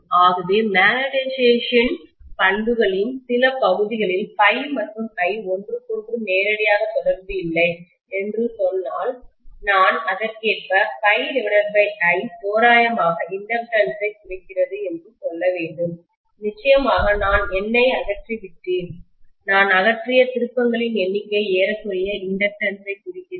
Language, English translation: Tamil, So if I say that phi and I are not directly related to each other in some portions of the magnetization characteristics, I should say correspondingly phi by I is roughly representing the inductance, of course I have removed the N, number of turns I have removed, that is approximately representing the inductance